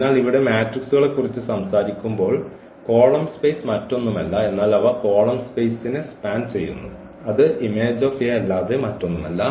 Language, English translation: Malayalam, So, when we talk about the matrices here the column space is nothing but they will span the column space is nothing but the image of A